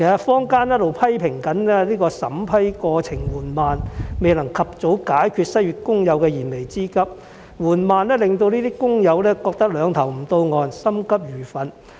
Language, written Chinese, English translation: Cantonese, 坊間一直批評審批過程緩慢，未能及早解決失業工友的燃眉之急，而過程緩慢令這些工友認為"兩頭不到岸"、心急如焚。, Some in the community have criticized the vetting and approval process as slow and cannot address the imminent needs of unemployed persons . The slow process has also caused these workers to fall between two stools and feel very anxious